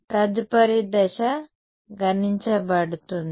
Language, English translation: Telugu, Next step would be to calculate